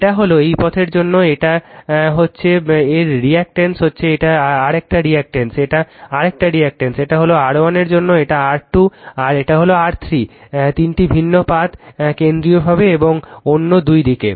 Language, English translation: Bengali, It is this is for this path you are getting reactance of this is another reactance, this is another reluctance, this is for R 1, this is R 2 and this is R 3, 3 different path right centrally and other two sides